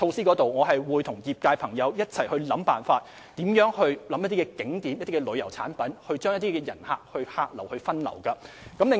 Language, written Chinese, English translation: Cantonese, 我們會與業界朋友一起想辦法，推出一些景點旅遊產品將遊客分流。, We will join hands with members of the sector to come up with ideas and introduce certain tourism products at tourist attractions to divert visitors